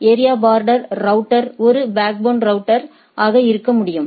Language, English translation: Tamil, So, area border router can be a backbone router